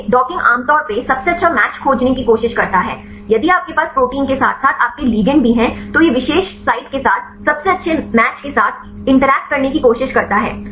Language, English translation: Hindi, So, docking generally tries to find the best match if you have a protein as well as your ligand, it try to interact with the particular site with the best match